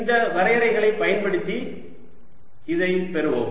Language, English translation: Tamil, let us get this using these definitions